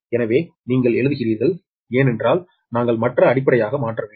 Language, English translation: Tamil, so you are writing a because we have to convert into the other base